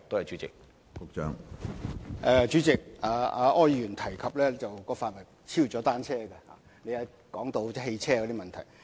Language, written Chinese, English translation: Cantonese, 主席，柯議員提及的範圍已超出了單車政策，因他提及汽車問題。, President the issues mentioned by Mr OR are actually beyond the scope of the bicycle policy because he talks about car - sharing